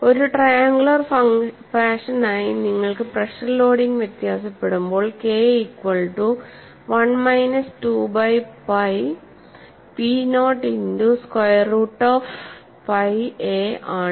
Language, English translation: Malayalam, So when you have the pressure loading varying as a triangular fashion, the expression for K reduces to 1 minus 2 by pi p naught into square root of pi a